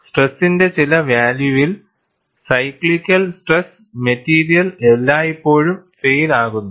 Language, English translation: Malayalam, At some value of stress, cyclical stress, the material always fails